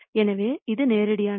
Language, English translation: Tamil, So, this is straightforward